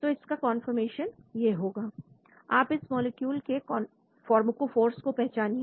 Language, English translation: Hindi, Then this could be the conformation of the molecule, you identify the pharmacophores of this molecule